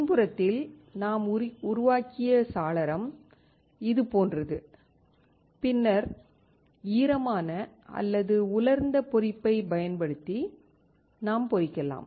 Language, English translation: Tamil, The window that we created in the backside is something like this and then we can we can etch using wet or dry etching